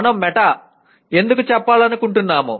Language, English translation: Telugu, And saying why do we want to say meta